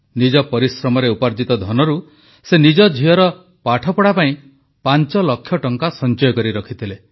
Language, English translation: Odia, Through sheer hard work, he had saved five lakh rupees for his daughter's education